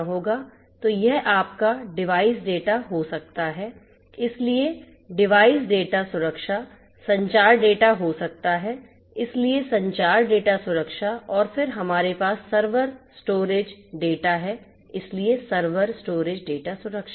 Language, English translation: Hindi, So it can be your device data, so device data protection communication data, so communication data protection and then we have the server storage data, so server storage data protection